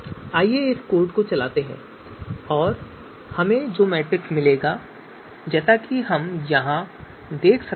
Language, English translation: Hindi, So let us run this code and will get you know matrix